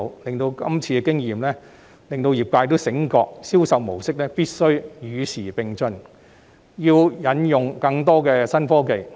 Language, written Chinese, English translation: Cantonese, 這次經驗令業界醒覺到銷售模式必須與時並進，要引用更多新科技。, The experience awakened the industry to the fact that sales practices must keep pace with the times and adopt more novel technologies